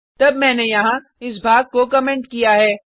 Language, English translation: Hindi, Then I have commented this portion here